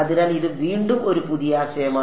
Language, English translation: Malayalam, So, again this is a new concept